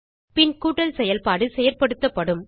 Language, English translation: Tamil, The addition operation will be performed